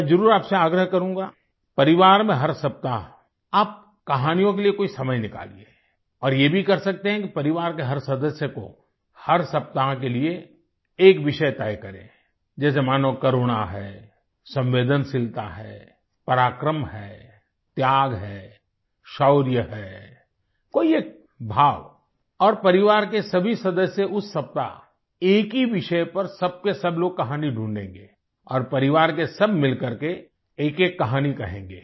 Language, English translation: Hindi, I would definitely urge you to take out sometime in the family every week for stories, and you can also allot every family member, for a given week, a topic, like, say compassion, sensitivity, valour, sacrifice, bravery choose any one sentiment to be dwelt upon by all members of the family, that week and everybody will source out a story on the same subject and all of the family members in a group will tell individual tales